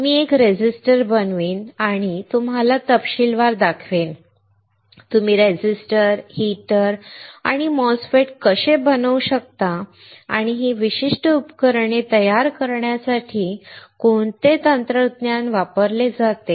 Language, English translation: Marathi, I will fabricate one resistor, and will show you in detail, how you can fabricate a resistor, a heater a MOSFET, and what are technologies used for fabricating these particular devices